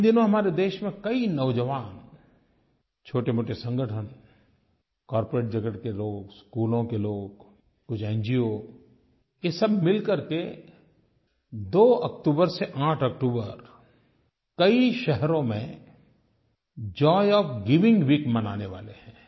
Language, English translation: Hindi, Now, many youngsters, small groups, people from the corporate world, schools and some NGOs are jointly going to organize 'Joy of Giving Week' from 2nd October to 8th October